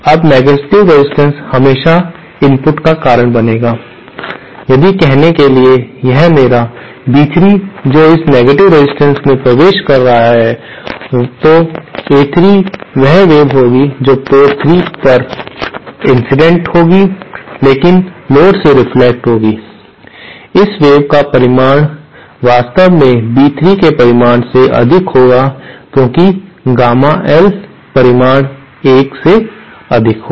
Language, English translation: Hindi, Now negative resistance will always cause input say if this is my say B3 that is entering this negative resistance, then A3 the wave incident at port 3 but reflected from the load will be at the magnitude of this wave will actually be greater than the magnitude of B3 because Gamma L magnitude will be greater than 1